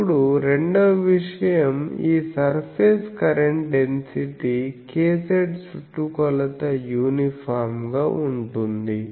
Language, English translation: Telugu, So, it is called k z that, now the second thing is this surface current density k z is circumferentially uniform